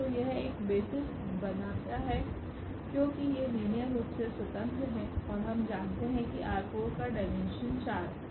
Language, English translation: Hindi, So, this forms a basis because these are linearly independent and we know that the dimension of R 4 is 4